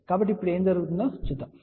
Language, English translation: Telugu, So, let us see what happens now